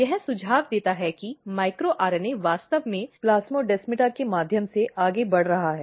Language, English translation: Hindi, This suggest that micro RNA is actually moving through the plasmodesmata